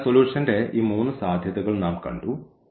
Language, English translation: Malayalam, So, we have see in these 3 possibilities of the solution